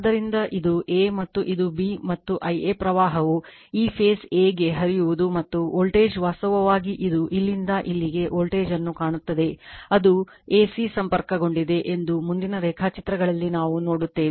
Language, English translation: Kannada, So, suppose this is a and this is b and current flowing to these the phase a is I a and the voltage is actually it looks the voltage from here to here is your what you call , it is a your, c know it is connected we will see in the , in yournext diagrams , right